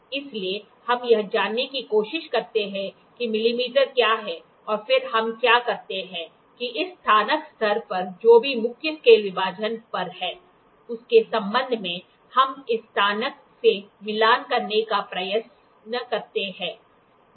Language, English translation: Hindi, So, that we try to know what is a millimeter and then what we do is we try to match this graduation whatever is here with respect to the graduation which is there on the main scale division